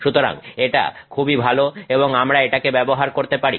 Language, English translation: Bengali, So, this is good and we can utilize it